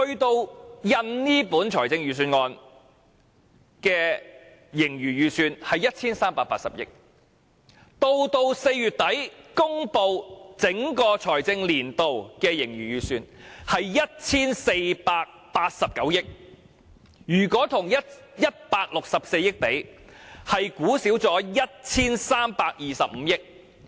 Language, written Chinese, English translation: Cantonese, 到印刷這份預算案時，盈餘預算是 1,380 億元，在4月底公布整個財政年度的盈餘預算，則為 1,489 億元；如果與164億元相比，預算是少估了 1,325 億元。, But when this years Budget went to the printer the estimation was revised to 138 billion . Then the surplus of the entire financial year was further estimated at 148.9 billion in late - April . Comparing this latest figure with 16.4 billion the surplus has been underestimated for 132.5 billion